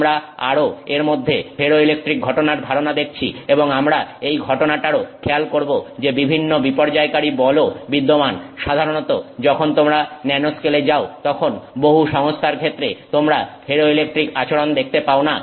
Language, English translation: Bengali, We also saw that I mean the concept of ferroelectric phenomenon itself we saw and we also made note of the fact that due to various disruptive forces that may exist usually when you go down to the nanoscale you are not able to see the ferroelectric behavior in many systems